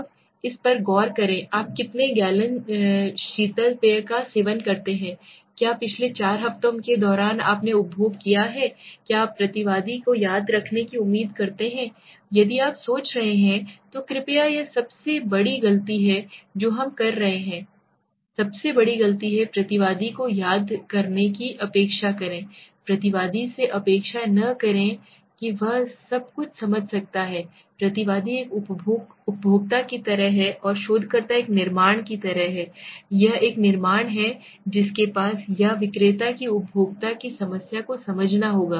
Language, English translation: Hindi, Now let s look at this, how many gallons of soft drinks do you consume, did you consume during the last four weeks, do you expect the respondent to remember, if you are thinking then please this is the biggest mistake one of the biggest mistake that we are committing, do not expect the respondent to remember, do not expect the respondent to understand everything it is the respondent is like a consumer and the researcher is like a manufacture, it is the manufacture who has to or the seller who has to understand the problem of the consumer